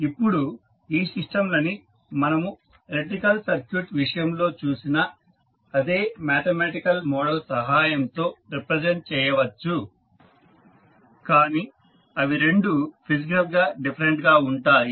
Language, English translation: Telugu, Now, the systems can be represented by the same mathematical model as we saw in case of electrical circuits but that are physically different